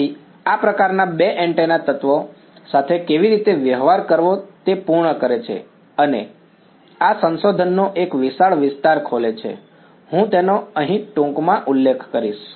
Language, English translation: Gujarati, So, this sort of completes how to deal with two antenna elements and this opens up a vast area of research I will just very briefly mention it over here